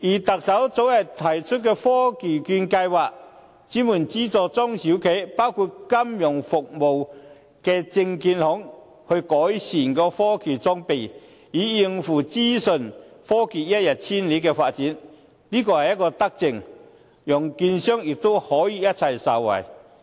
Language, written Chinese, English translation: Cantonese, 特首早前推出的科技券計劃，專門資助中小企，包括金融服務業的證券行改善科技裝備，以應付資訊科技一日千里的發展，這是一項德政，讓券商可以一起受惠。, The Chief Executive has recently launched the Technology Voucher Programme to particularly subsidize SMEs including securities dealers of the financial services industry to improve their technological equipment in order to catch up with the rapid development of information technology . This is a benevolent initiative as securities dealers can also be benefited